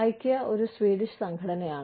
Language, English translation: Malayalam, Ikea is a Swedish organization